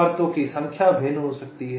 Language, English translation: Hindi, number of layers may be different, may vary